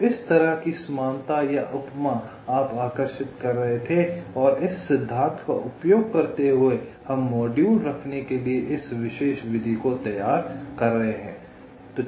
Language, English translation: Hindi, so this kind of similarity or analogy you were drawing and using this principle we are faming, or formulating this particular method for placing the modules